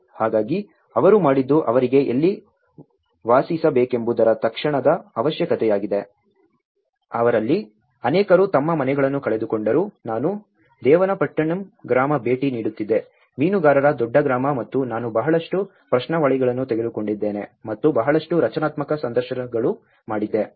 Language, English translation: Kannada, So what they did was an immediate requirement for them as where to live, many of them lost their houses, so many I was visiting Devanampattinam village, the longest fisherman village and you can see that I have taken lot of questionnaires and a lot of semi structured interviews